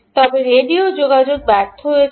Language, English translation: Bengali, however, radio communication was unsuccessful